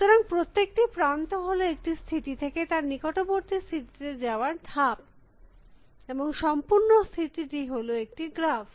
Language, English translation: Bengali, So, every edge is the move from one state to a neighboring state and the whole state is a graph